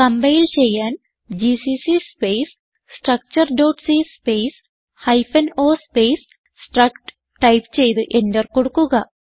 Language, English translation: Malayalam, To compile type gcc space structure.c space hyphen o space struct and press Enter To execute type ./struct